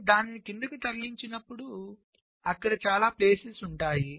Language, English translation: Telugu, so when you move it down, there are so many places you can put it